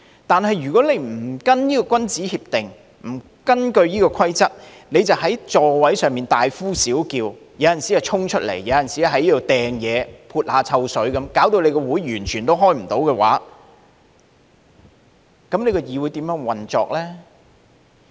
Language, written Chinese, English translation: Cantonese, 但是，如果你不跟從這項君子協定，不根據這個規則，在座位上大呼小叫、時而衝出來，有時又擲東西、潑臭水，導致無法開會，議會如何運作呢？, If any members yell in their seats or even dash out of their seats hurl objects and pour stinking liquid from time to time in defiance of this gentlemans agreement and the rules with the result that it is impossible to conduct meetings then how can the legislature operate may I ask?